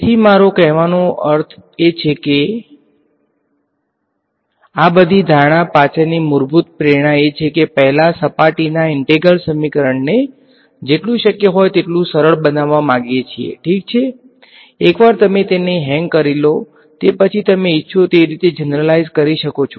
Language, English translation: Gujarati, So, I mean the basic motivation behind all of these assumption is there are first surface integral equation we want to make it as simple as possible ok, once you get the hang of it you can generalize whichever way you want